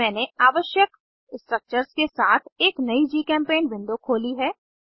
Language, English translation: Hindi, I have opened a new GChemPaint window with the required structures